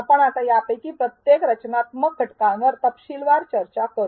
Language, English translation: Marathi, We will now discuss each of these structural elements in detail